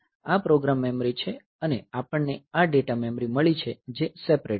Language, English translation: Gujarati, So, this is program memory and we have got the data memory which is separate